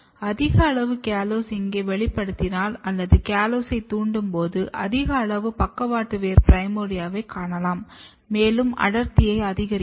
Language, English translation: Tamil, And now if you express high amount of callose here what you can see that when you induce callose you can see high amount of lateral root primordia, the density is increased